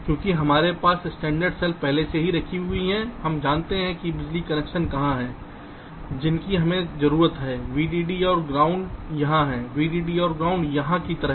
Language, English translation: Hindi, because now that we have the standard cells, already, layout, laid out, we know that where are the power connections that we need, vdd and ground here, vdd and ground here, like that